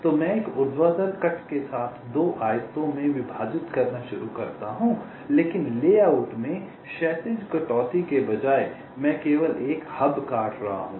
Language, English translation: Hindi, so i start with a vertical cut dividing up into two rectangles, but instead of a horizontal cut across the layout, i am cutting only one of the hubs